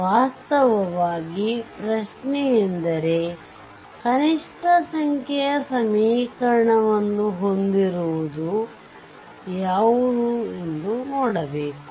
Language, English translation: Kannada, Actually question is that you have to see that where you have a minimum number of equation